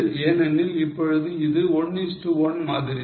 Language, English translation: Tamil, Or is just simple because it is same 1 is to 1 ratio now